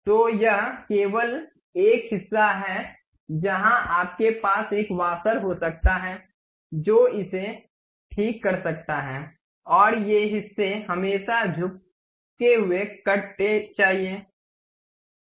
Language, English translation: Hindi, So, this only the portion where you can have a washer which one can fix it and these portions are always be having inclined cut